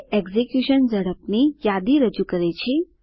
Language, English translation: Gujarati, It presents a list of execution speeds